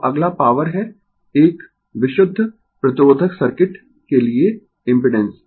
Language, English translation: Hindi, Now, next is the power, the impedance for a pure resistive circuit